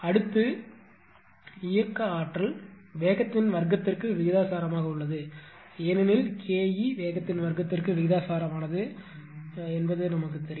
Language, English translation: Tamil, Next is that this kinetic energy is proportional to the square of the speed because, you you know that K KE is proportional to the square of the speed right